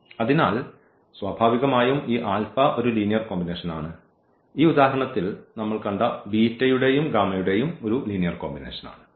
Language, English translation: Malayalam, So, naturally this alpha is a linear combination of is a linear combination of beta and gamma which we have seen and in this example